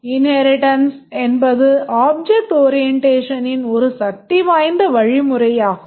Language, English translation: Tamil, Inheritance is a powerful mechanism in object orientation